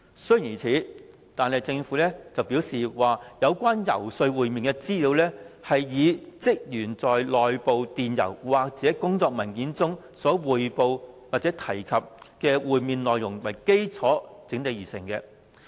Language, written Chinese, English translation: Cantonese, 雖然如此，政府表示，有關遊說會面的資料，是以職員內部電郵或工作文件中所匯報或提及的會面內容為基礎整理而成。, This notwithstanding the Government said that the information on the lobbying sessions was compiled based on the interview notes as reported or mentioned in the internal emails or work documents of staff